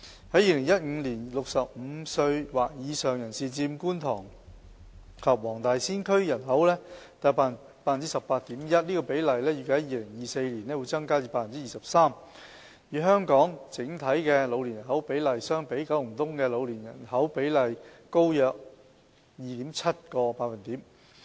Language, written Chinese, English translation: Cantonese, 在2015年 ，65 歲或以上人士佔觀塘及黃大仙區的人口約 18.1%， 這個比例預計在2024年會增至 23%， 與香港整體的老年人口比例相比，九龍東的老年人口比例高約 2.7 個百分點。, In 2015 people aged 65 or above account for 18.1 % or so of the population in the Kwun Tong and Wong Tai Sin Districts and this proportion is expected to rise to 23 % in 2024 . Compared to the overall proportion of elderly persons in Hong Kong population the proportion of elderly persons in Kowloon East is higher by 2.7 percentage points